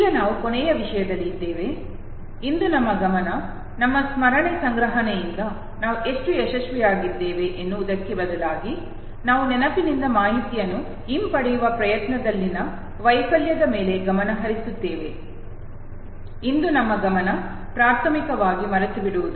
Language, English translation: Kannada, Now that we are on the last topic, today our focus would be not in terms of how much we succeeded recollecting from our memory storage rather we would focus upon the failure in the attempt to retrieve information from the memory, that is our focus will primarily be today on forgetting